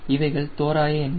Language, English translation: Tamil, these are numbers right